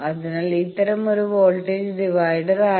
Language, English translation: Malayalam, So, this is a voltage divider